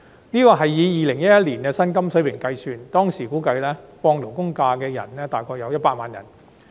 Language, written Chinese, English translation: Cantonese, 這款額是以2011年的薪金水平計算，當時估計放取法定假日的僱員約有100萬人。, This amount was calculated on the basis of the wage level in 2011 and based on the assumption that about 1 million employees were entitled to SHs